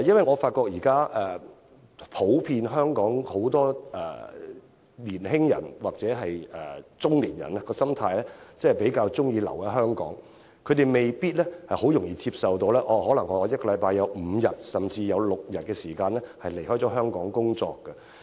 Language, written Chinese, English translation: Cantonese, 我發現香港年輕人或中年人的普遍心態是比較喜歡留在香港，他們未必容易接受一周五天甚至六天離港工作。, As I have noticed young and middle - aged people in Hong Kong generally like to stay in the city and probably they may not easily accept working outside Hong Kong for five or even six days a week